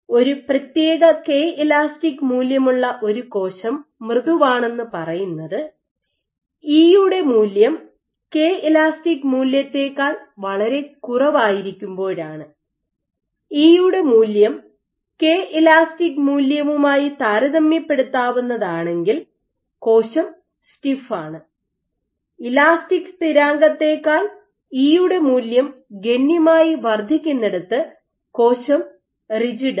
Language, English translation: Malayalam, So, you can say that for a cell with a given Kel which you determine soft can correspond to when E is significantly less than this value, stiff is with E is comparable to this value and rigid where E is significantly greater than this elastic constant